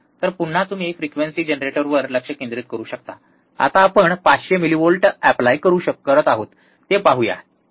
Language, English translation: Marathi, So, again you can focus on the frequency generator, let us see now we are applying 500 millivolts, alright